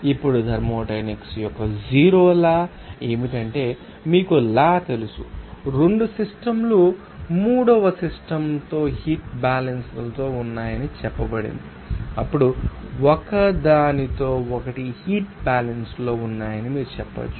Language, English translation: Telugu, Now, what is that zeroth law of thermodynamics here according to this, you know law, it is said that the 2 systems is in equilibrium thermally with the third system then you can say they are in thermal equilibrium with each other